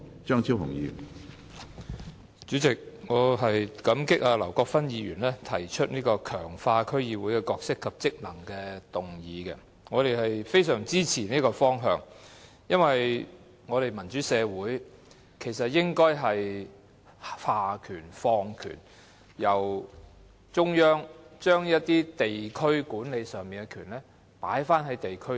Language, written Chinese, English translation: Cantonese, 主席，我感激劉國勳議員提出"強化區議會的角色及職能"的議案，我們非常支持這個方向，因為民主社會應該下放權力，由中央把一些地區管理的權力放回在地區上。, President I thank Mr LAU Kwok - fan for proposing this motion on Strengthening the role and functions of District Councils . We greatly support this direction because a democratic society should devolve powers returning the power of district administration from the central government to the districts